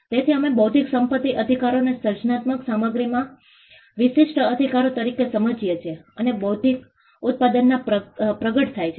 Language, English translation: Gujarati, So, we understand intellectual property rights as exclusive rights in the creative content, then manifests in a physical product